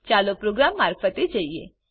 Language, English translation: Gujarati, Let us go through the program